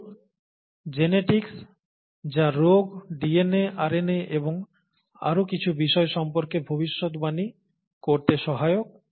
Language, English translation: Bengali, Some genetics which are, which is helpful in, predicting diseases and some aspects of DNA, RNA, and so on so forth